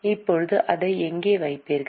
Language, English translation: Tamil, Now where will you put it